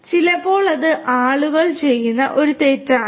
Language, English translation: Malayalam, So, sometimes that is a mistake that people commit